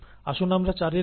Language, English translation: Bengali, Let us look at 8 here